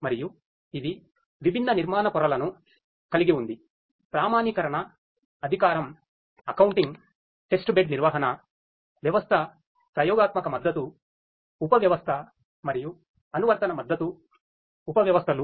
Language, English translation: Telugu, And it has different architectural layers such as; authentication, authorization, accounting, testbed management subsystem, experimental support subsystem, and application support subsystems